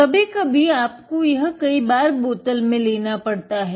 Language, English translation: Hindi, Sometimes you may need to take several times in the bottle